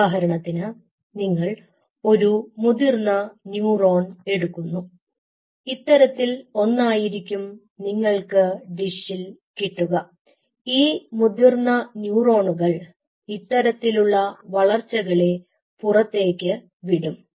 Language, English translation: Malayalam, now say, for example, you take an adult neuron, what you get in a dish is something like this and this again sends out the process, which is an adult neuron